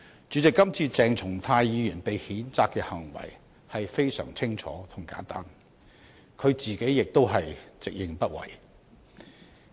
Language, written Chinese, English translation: Cantonese, 主席，今次鄭松泰議員被譴責的行為非常清楚和簡單，他自己亦直認不諱。, President Dr CHENG Chung - tais conduct to be censured this time around is very clear and simple . He himself has also frankly admitted it